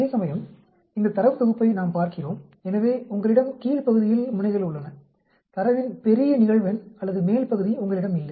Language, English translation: Tamil, Whereas we look at this data set, so you have ends in the lower region, large frequency of data or upper region you do not have